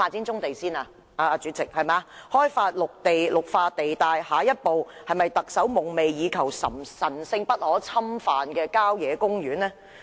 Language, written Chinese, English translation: Cantonese, 在開發綠化地帶後，下一個目標是否特首夢寐以求、神聖不可侵犯的郊野公園呢？, After developing the green belt areas will our sacred country parks which are desperately craved by LEUNG Chun - ying be the next target?